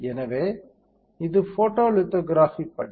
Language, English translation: Tamil, So, this is the photo lithography step